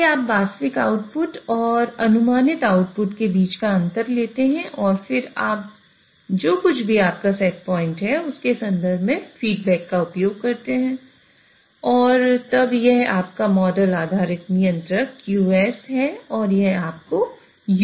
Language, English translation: Hindi, So you take the difference between the actual output and the predicted output and then you use the feedback in terms of whatever is your set point and then this is your model based controller QS and it will give you the U